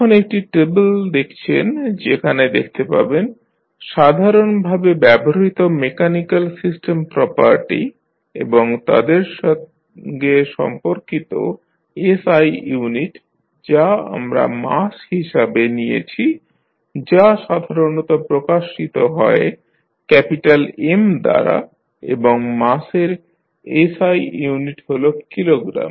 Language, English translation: Bengali, Now, you see this is the table where you can see the generally utilized mechanical system properties and their corresponding the SI unit which we take like mass is generally represented by capital M and the SI unit is Kilogram for the mass